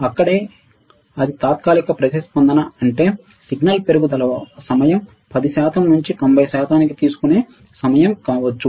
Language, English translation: Telugu, Right there is it transient; that means, that rise time might be the time it takes from signal to go from 10 percent to 90 percent